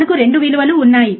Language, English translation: Telugu, We have 2 values